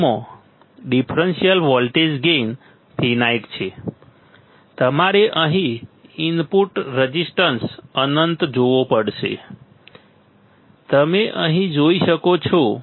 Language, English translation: Gujarati, It has in differential voltage gain in finite right, you have to see here input resistance infinite, you can see here right